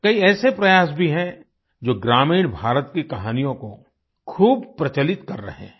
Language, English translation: Hindi, There are many endeavours that are popularising stories from rural India